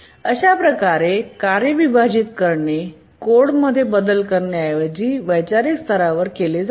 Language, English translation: Marathi, So the task splitting is done at a conceptual level rather than making change to the code itself